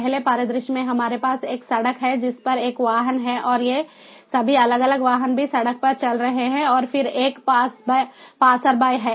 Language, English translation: Hindi, in the first scenario, we have a road on which there is a vehicle and all these different vehicles are also moving on the road, and then there is a passerby